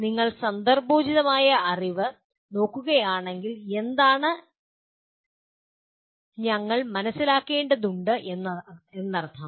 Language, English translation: Malayalam, If you look at contextual knowledge, what does it mean we need to understand